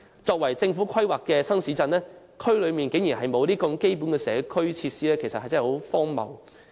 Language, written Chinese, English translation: Cantonese, 這些由政府規劃的新市鎮竟然沒有提供這些基本社區設施，真的十分荒謬。, It is really absurd that such basic community facilities are absent from these new towns planned by the Government